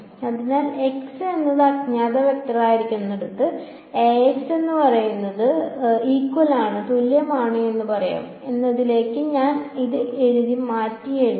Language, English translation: Malayalam, So, I have rewritten this into we can say Ax is equal to b where x is the unknown vector